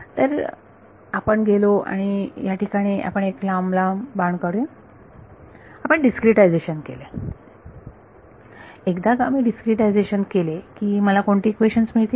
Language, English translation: Marathi, So, we went, let's draw long arrow here, we discretized, once I discretized what kind of equations should I get